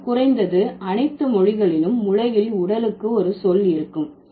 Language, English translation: Tamil, But at least all languages in the world would have a word for body